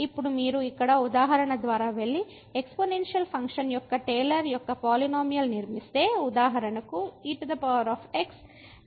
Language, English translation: Telugu, Now if you go through the example here and construct the Taylor’s polynomial of the exponential function for example, power around is equal to 0